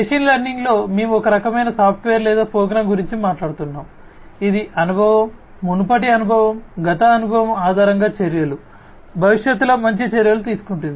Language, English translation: Telugu, In machine learning, we are talking about some kind of a software or a program, which based on the experience, previous experience, past experience will take actions, better actions in the future